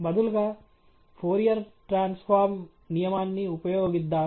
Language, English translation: Telugu, Let’s instead use the Fourier Transform rule